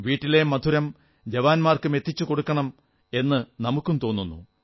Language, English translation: Malayalam, We also feel that our homemade sweets must reach our country's soldiers